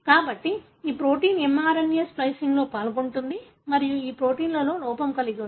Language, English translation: Telugu, So, this protein is involved in mRNA splicing and this protein is having a defect